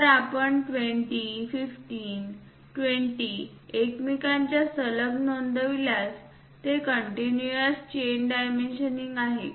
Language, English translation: Marathi, If you are noting 20 15 20 next to each other and it is a continuous chain dimensioning